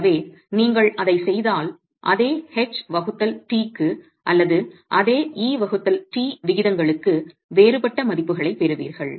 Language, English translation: Tamil, So if if you were to do that you will get values that are different for same H by T or same E by T ratios